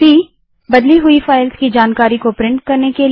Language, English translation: Hindi, c#160: Print information about files that are changed